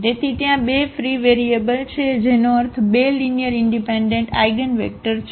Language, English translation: Gujarati, So, there are two free variables, meaning 2 linearly independent eigenvectors